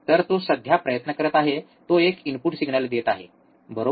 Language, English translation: Marathi, So, what he is right now trying is, he is giving a input signal, right